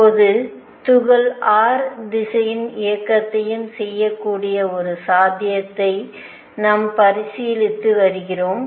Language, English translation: Tamil, Now, we are considering the possibility that the particle can also perform motion in r direction